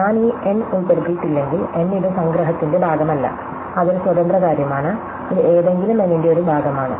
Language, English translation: Malayalam, And if I do not include this n, notice that n is not a part of the sum, it is an independent thing, it is a fraction of any n